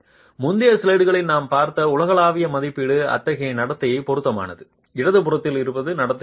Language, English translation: Tamil, The global estimate that we saw in the previous slides is appropriate for such behavior, not for the behavior that is on the left